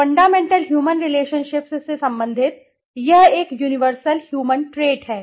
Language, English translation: Hindi, Deal with fundamental human relationships; it is a universal human trait